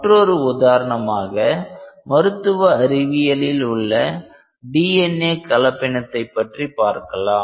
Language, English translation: Tamil, Another example like which is related to the medical sciences is DNA hybridisation